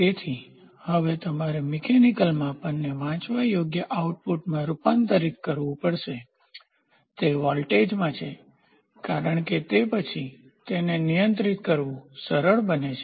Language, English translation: Gujarati, So, now, you have to convert the mechanical measurement into a readable output, why it is in voltage because then it becomes easy for controlling